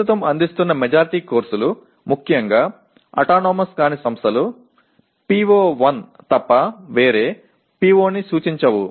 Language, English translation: Telugu, Majority of the courses as they are offered at present particularly non autonomous institutions do not address any PO other than PO1